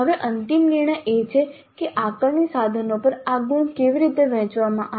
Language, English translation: Gujarati, Now the final decision is how are these marks to be distributed over the assessment instruments